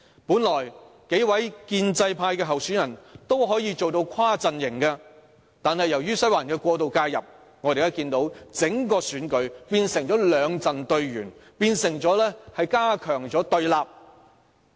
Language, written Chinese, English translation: Cantonese, 本來數名建制派候選人可以做到跨陣營競選，但由於"西環"過度介入，整個選舉變成兩陣對圓，變成加強了對立。, Originally the several pro - establishment candidates should be able to conduct election campaigns transcending their own camps but due to excessive intervention by Western District the election has become a battle between two camps with intensified antagonism